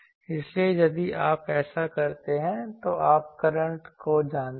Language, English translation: Hindi, So, if you very finally, do this then you know the currents